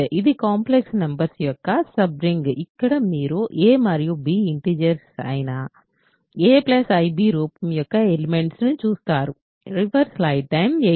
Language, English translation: Telugu, So, it is a subring of complex numbers, where you look at elements of the form a plus i b where a and b are integers